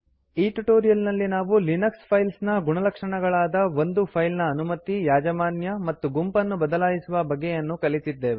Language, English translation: Kannada, So in this tutorial we have learnt about the Linux Files Attributes like changing permission, ownership and group of a file